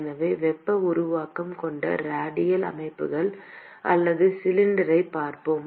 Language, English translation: Tamil, So let us look at radial systems or cylinder with heat generation